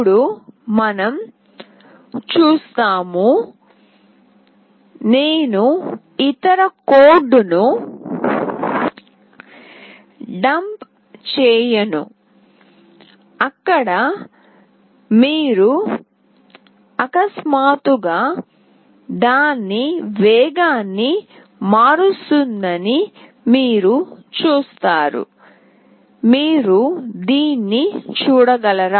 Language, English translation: Telugu, Now we will see that, I will not be dumping the other code where you will see that suddenly it will change its speed, can you see this